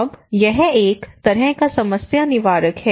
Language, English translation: Hindi, Now it is a kind of trouble shooter